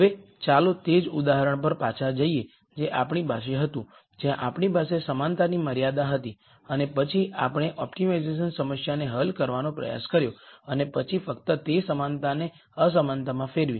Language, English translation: Gujarati, Now, let us go back to the same example that we had before, where we had the equality constraint and then we tried to solve the optimization problem and then just make that equality into an inequality